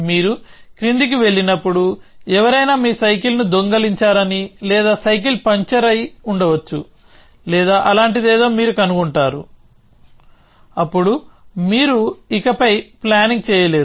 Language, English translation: Telugu, Then when you go down, you find that somebody has stolen your bicycle or may be bicycle is punctured or something like that, then you can no longer do the planning